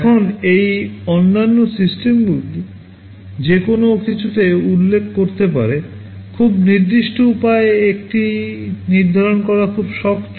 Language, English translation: Bengali, Now this “other systems” can refer to anything, it is very hard to define in a very specific way